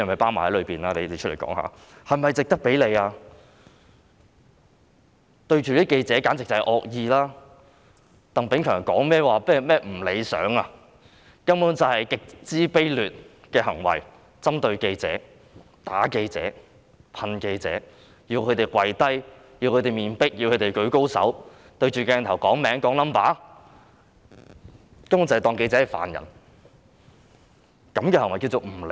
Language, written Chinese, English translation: Cantonese, 他們簡直是惡意對待記者，並非鄧炳強所說的不理想，這些根本是極其卑劣的行為，是針對記者、打記者、噴記者，還要記者跪下、面壁、舉高手、對鏡頭讀出自己姓名和身份證號碼，他們根本當記者是犯人。, It is indeed extremely despicable directing against journalists . They beat and pepper - spray journalists and order them to kneel down face the wall raise their hands and say their name and identity card number before the camera . They are treating journalists as criminals